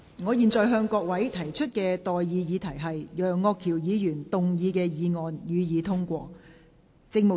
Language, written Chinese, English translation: Cantonese, 我現在向各位提出的待議議題是：楊岳橋議員動議的議案，予以通過。, I now propose the question to you and that is That the motion moved by Mr Alvin YEUNG be passed